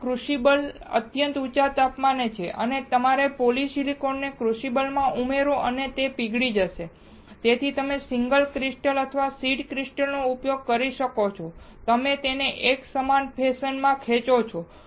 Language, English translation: Gujarati, This crucible is at extremely high temperature, and you add your polysilicon into the crucible and it will melt, then you use single crystal or seed crystal and you pull this up in a uniform fashion